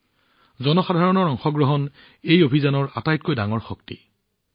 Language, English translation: Assamese, This public participation is the biggest strength of this campaign